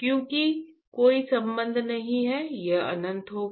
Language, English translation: Hindi, Because there is no connection, it would be infinite